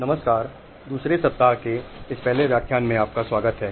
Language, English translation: Hindi, Hello and welcome to this first lecture of second week